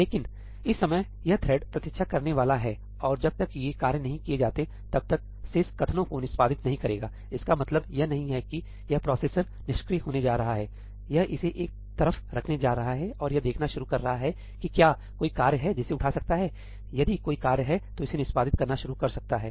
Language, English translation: Hindi, But at this point of time, this thread is going to wait and it will not execute the remaining statements until these tasks are not done; that does not mean that this processor is going to be idle, it is going to put this aside and start looking if there are any tasks there it can pick up, if there is any task it can pick up it is going to start executing that